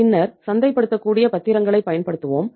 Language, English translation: Tamil, Then we will use the marketable securities